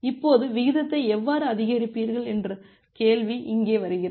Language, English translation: Tamil, Now, the question comes here that how will you increase the rate